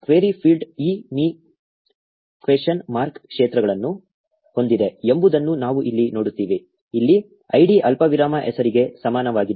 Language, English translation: Kannada, We see here that the query field has this me question mark fields is equal to id comma name here